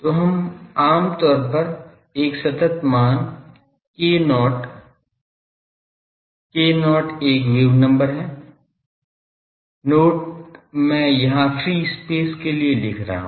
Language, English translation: Hindi, So, that we generally denote by a constant called k not, so k not is wave number; not is for free space I am writing